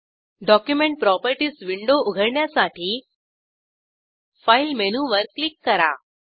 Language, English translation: Marathi, To open Document Properties window, click on File menu